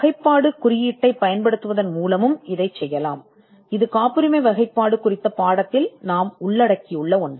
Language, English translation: Tamil, This can also be done by using the classification code; which is something which we have covered in the lesson on patent classification